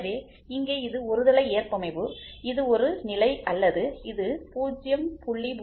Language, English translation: Tamil, So, here it is unilateral tolerance this is one condition or it can be like this 0